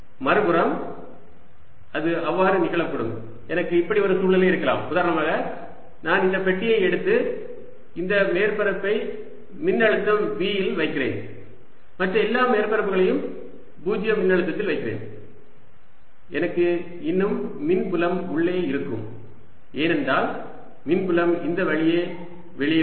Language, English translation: Tamil, i may have a situation, for example, if i take this box, put this surface at some potential v and i put all the other surfaces at zero potential, i'll still have electric field inside because electric field will be coming out of this line